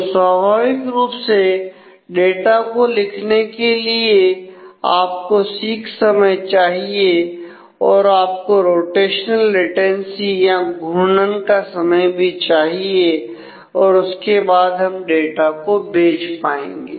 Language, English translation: Hindi, So, naturally for writing the data also you will need a seek time you will need the rotational latency then we will have to data do the data transfer